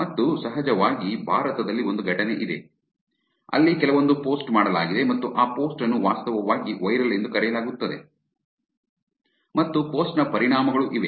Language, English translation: Kannada, And of course, there is an incident in India, where the some post was done and that post called actually viral and there were consequences of the post also